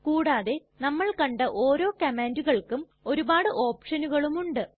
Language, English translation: Malayalam, Moreover each of the command that we saw has many other options